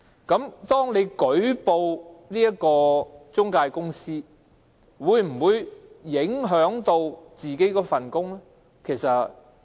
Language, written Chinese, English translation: Cantonese, 如果他們舉報中介公司，會否影響自己的工作呢？, Will their jobs be affected if they make a report against their employment agencies?